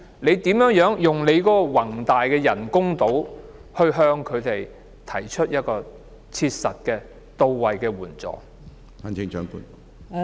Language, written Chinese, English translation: Cantonese, 如何利用宏大的人工島為他們提供切實、到位的援助？, How can we make use of those grand artificial islands to provide them with practical and pertinent assistance?